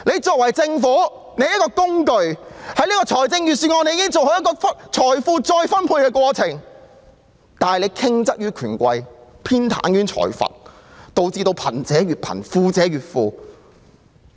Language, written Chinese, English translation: Cantonese, 作為政府，理應善用預算案這個工具做好財富再分配的工作，但我們的政府卻向權貴傾斜，偏袒財閥，導致貧者越貧、富者越富。, As the citys Government it should make good use of the Budget as a tool to achieve equitable redistribution of wealth but our Government tilts towards the rich and powerful and favours the wealthy cliques instead thus resulting in a widened wealth gap